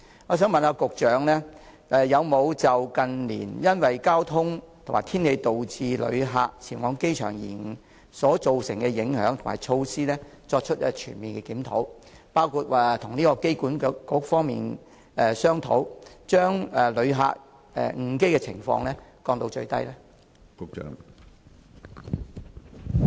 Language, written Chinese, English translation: Cantonese, 我想問局長，有否就近年因為交通及天氣導致旅客前往機場延誤所造成的影響及措施，作出全面檢討，包括與機管局方面商討，將旅客錯過航班的情況降到最低呢？, I would like to ask the Secretary whether he has conducted a comprehensive review on the impact of late arrival of passengers at the airport due to traffic and weather conditions and on the handling measures including discussion with AA so as to minimize the possibility of missing the flight by passengers